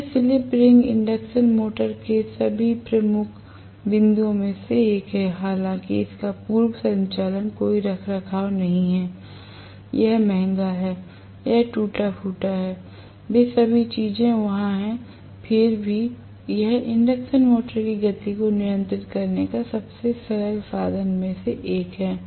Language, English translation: Hindi, So, this is one of the major plus points of the slip ring induction motor all though it has no maintenance pre operation, it is costlier, it has wear and tear, all those things are there, nevertheless, this is one of the simplest means of controlling speed of the induction motor right